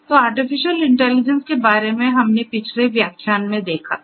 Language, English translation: Hindi, So, artificial intelligence, we have gone through it in a previous lecture